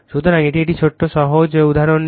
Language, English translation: Bengali, So, take a one small take a simple example